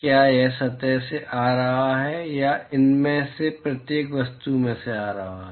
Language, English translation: Hindi, Is it coming from the surface or is it coming from each of these objects